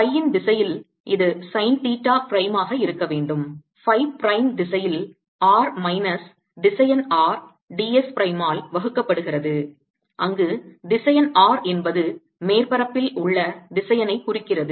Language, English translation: Tamil, it should be: sine theta prime in phi prime direction, divided by r minus vector r d s prime, where vector r denotes the vector on the surface right, vector r denotes the vector on the surface